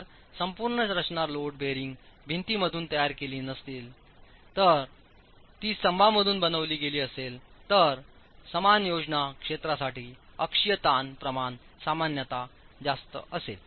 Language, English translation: Marathi, If the entire structure were not made out of load bearing walls were made out of columns, the axial stress ratio will typically be higher for a similar plan area